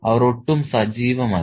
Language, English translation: Malayalam, They are not active at all